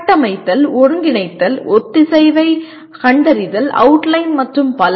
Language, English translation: Tamil, Structure, integrate, find coherence, outline and so on